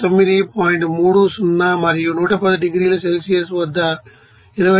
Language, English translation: Telugu, 13 and at 80 degrees Celsius it is given 29